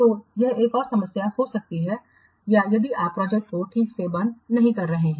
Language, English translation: Hindi, So, this is another problem that you will get that you will observe if the projects are not properly closed